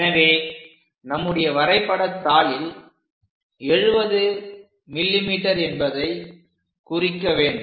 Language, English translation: Tamil, So, we have to mark that 70 mm on our drawing sheet